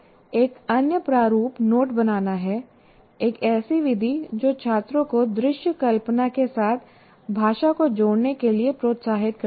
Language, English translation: Hindi, And another one, visualized not making is a strategy that encourages students to associate language with visual imagery